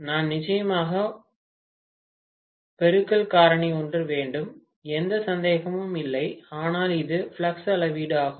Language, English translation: Tamil, I do have definitely a multiplication factor, no doubt, but it is a measure of flux